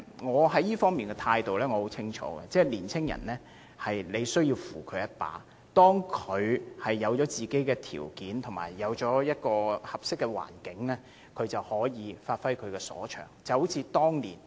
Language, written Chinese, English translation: Cantonese, 我在這方面的態度十分清晰，我認為年青人需要扶助，當他們具備條件及建立合適的環境後，便可以發揮所長。, On this point my attitude is clear . I think young people need to be provided with support . Given the conditions and a suitable environment they can give play to their talents